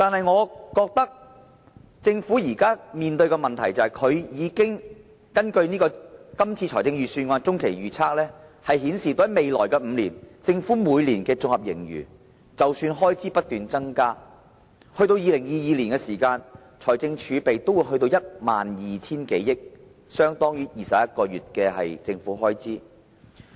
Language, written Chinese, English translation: Cantonese, 我覺得政府現時面對的問題是，根據財政預算案的中期預測，未來5年，即使開支不斷增加，政府每年的綜合盈餘仍會上升 ，2022 年的財政儲備會達至 12,000 多億元，相當於21個月的政府開支。, According to the Medium Rage Forecast of the Budget the Governments expenditure will increase continuously in the next five years . But still the Governments annual surplus will be on the rise . By 2022 the fiscal reserves will reach 1,200 - odd billion which is equivalent to 21 months of government expenditure